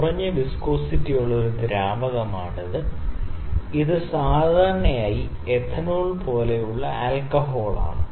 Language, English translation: Malayalam, It is a fluid that is low viscosity fluid, and it generally some alcohol like ethanol